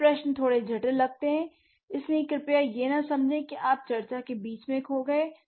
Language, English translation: Hindi, So, let's, this question sound a little complicated, so please don't feel that you are lost in the middle of the discussion